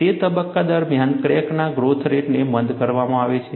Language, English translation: Gujarati, During that phase, the crack growth rate is retarded